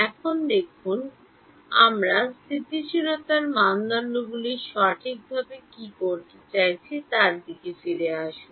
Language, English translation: Bengali, Now look at let us get back to what we are trying to do stability criteria right